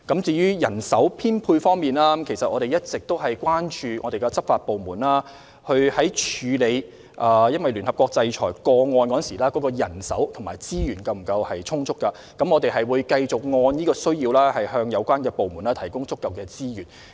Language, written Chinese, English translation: Cantonese, 至於人手編配方面，我們一直十分關注執法部門是否有足夠人手和資源，處理聯合國制裁的個案，我們會繼續按需要向有關部門提供足夠資源。, Regarding the staffing establishment we all along are very concerned about whether law enforcement agencies have sufficient manpower and resources to handle cases concerning UN sanctions . We will continue to provide sufficient resources for these agencies as needed